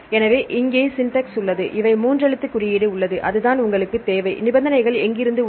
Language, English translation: Tamil, So, here is the syntax; first it have three letter code, that is what you need and there are conditions from WHERE